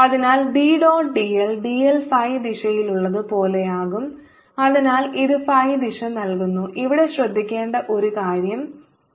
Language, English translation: Malayalam, so b dot d l will be like d l is in phi direction, so it gives phi, phi direction